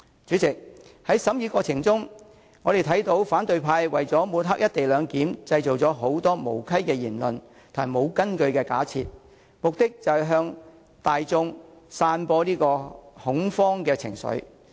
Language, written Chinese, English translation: Cantonese, 主席，在《條例草案》的審議過程中，我們看到反對派為了抹黑"一地兩檢"，製造很多無稽的言論和沒有根據的假設，目的是向大眾散布恐慌情緒。, President during the scrutiny of the Bill we have noticed that opposition Members have trumped up many ridiculous arguments and baseless assumptions to smear the co - location arrangement . They intend to spread fear among the public